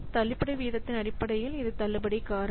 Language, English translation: Tamil, So, this discount factor is based on the discount rate